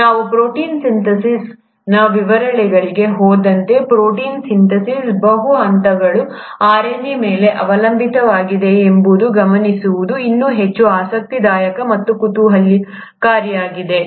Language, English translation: Kannada, What is even more interesting and intriguing is to note that as we go into the details of protein synthesis, multiple steps in protein synthesis are dependent on RNA